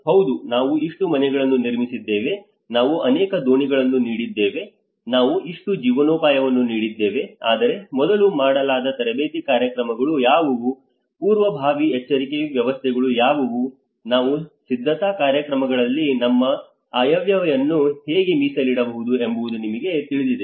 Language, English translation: Kannada, Yes, we have constructed this many houses, we have given this many boats, we have given this many livelihoods, but before what are the training programs, what are the early warning systems you know how we can actually dedicate our budget in the preparedness programs